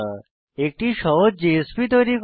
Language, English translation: Bengali, We will now create a simple JSP page